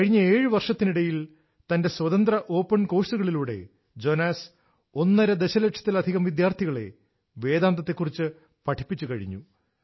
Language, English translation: Malayalam, During the last seven years, through his free open courses on Vedanta, Jonas has taught over a lakh & a half students